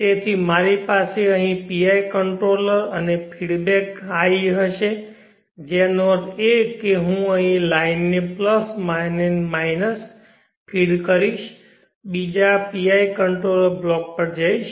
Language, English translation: Gujarati, Now I will do that for iq also, so I will have here iq * and feedback iq which means I will be feeding back this line here, plus and minus and goes to another pi controller block